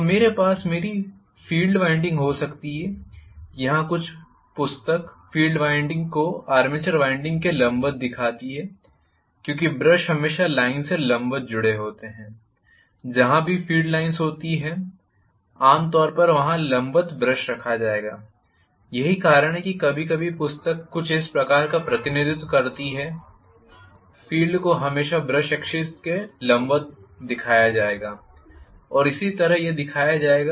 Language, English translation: Hindi, So, I may have my field winding here some book show the field winding perpendicular to the armature winding because the brushes are always connected perpendicular to the line where ever the field lines are going generally perpendicular to that the brushes will be placed, so that is the reason why sometimes this is the kind of representation some of the book show, the field will always be shown perpendicular to the brush axis, that is how it will be shown